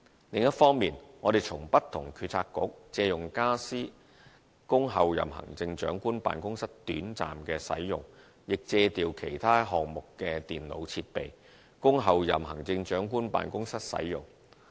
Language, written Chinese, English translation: Cantonese, 另一方面，我們從不同政策局借用傢俬供候任行政長官辦公室短暫使用，亦借調其他項目的電腦設備，供候任行政長官辦公室使用。, On the other hand from different Policy Bureaux we have borrowed some furniture for the temporary use of the Office of the Chief Executive - elect . We have also borrowed some computer equipment from other projects for its use